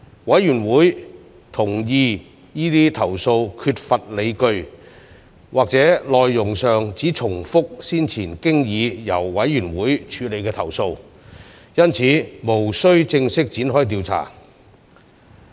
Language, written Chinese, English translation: Cantonese, 委員會同意這些投訴缺乏理據，或內容上只重複先前經已由委員會處理的投訴，因此無須正式展開調查。, The Committee agreed that such cases were irrational or repeated complaints previously disposed of through the Committee therefore no formal investigative actions would be taken